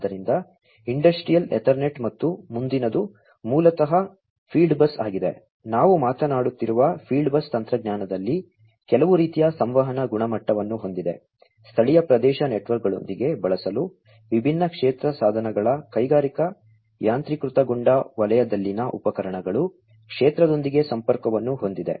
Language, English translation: Kannada, So, Industrial Ethernet and the next one is basically the field bus, in the field bus technology we are talking about, some kind of having some kind of a communication standard, for use with local area networks, having connectivity with the different field devices field instruments in the industrial automation sector